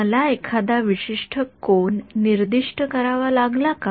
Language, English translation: Marathi, Did I have to specify a particular angle